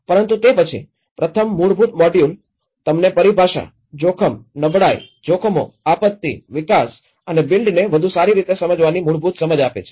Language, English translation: Gujarati, But then, the first basic module gives you the very fundamental understandings of the terminology, risk, vulnerability, hazards, disaster, development and the build back better